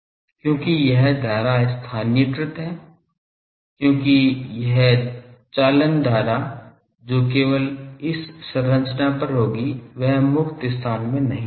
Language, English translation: Hindi, Because this current is localized because the current; this conduction current that will be only on this structure it will not be in the free space